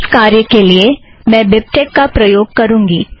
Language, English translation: Hindi, I will be using BibTeX for this purpose